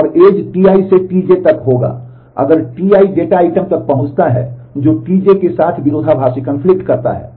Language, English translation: Hindi, And the edge will be from T i to T j, if T i access the data item which conflict with T j